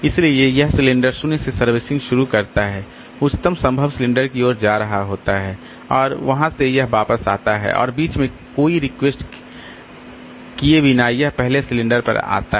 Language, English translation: Hindi, So, it starts servicing from cylinder 0 going towards the highest possible cylinder and from there it comes back and it comes back to the first cylinder without servicing any request in between